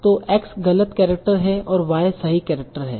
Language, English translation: Hindi, So x is the incorrect character and y is the correct character